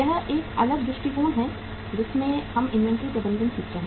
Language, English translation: Hindi, That is a different uh perspective in which we learn the inventory management